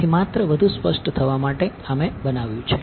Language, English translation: Gujarati, So, just to be even more explicit, this is what I made